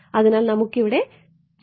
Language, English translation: Malayalam, So, the let us look at the geometry over here